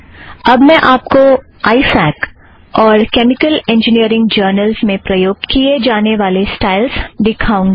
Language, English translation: Hindi, I will now show a style that is used by ifac and chemical engineering journals